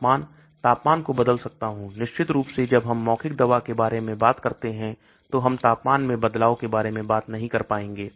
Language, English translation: Hindi, Temperature, I can change the temperature, of course when we talk about the oral drug we will not be able to talk about change in temperature